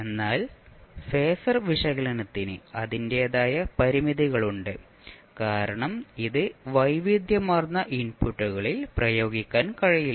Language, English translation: Malayalam, But phasor analysis has its own limitations because it cannot be applied in very wide variety of inputs